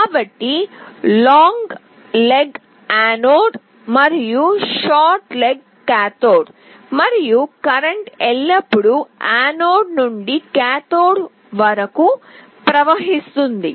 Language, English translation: Telugu, So, the long leg is anode and the short leg is cathode, and current always flows from anode to cathode